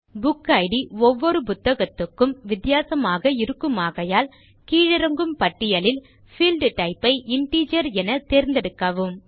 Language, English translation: Tamil, Since the BookId will be a different number for each book, select Integer as the Field Type from the dropdown list